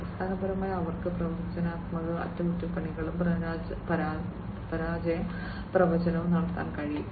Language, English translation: Malayalam, So, basically they are able to perform predictive maintenance and failure forecasting